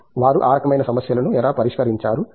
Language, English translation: Telugu, How have they solved those kinds of problems